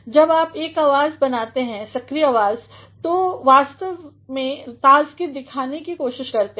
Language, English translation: Hindi, When you make a sentence in the active voice you actually try to show freshness